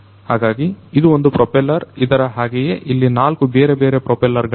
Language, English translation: Kannada, So, this is basically one propeller likewise there are 4 different propellers